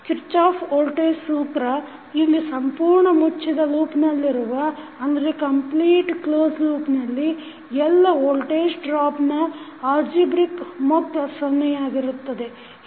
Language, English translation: Kannada, For Kirchhoff’s voltage law, we also say that it is loop method in which the algebraic sum of all voltage drops around a complete close loop is zero